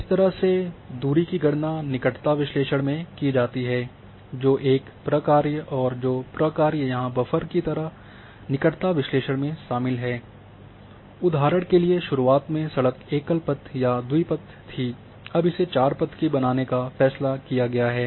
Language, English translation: Hindi, So, this is how the distance are calculated in proximity analysis that is a function and the function which is involves here in proximity analysis like a buffer is one of the example that initially the road was a single lane or double lane now it has been decided to make it four line